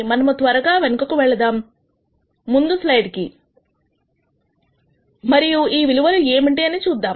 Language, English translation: Telugu, Let us go back quickly to the previous slide and see what the value was